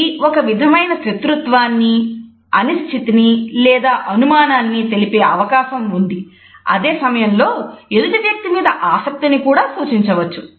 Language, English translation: Telugu, It may communicate a sense of hostility, uncertainty or suspicion and at the same time it can also give a suggestion of being interested in the other person